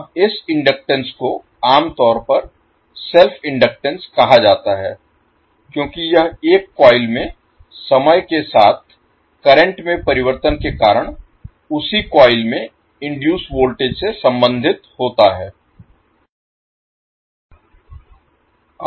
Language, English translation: Hindi, Now this inductance is commonly called as self inductance because it relate the voltage induced in a coil by time varying current in the same coil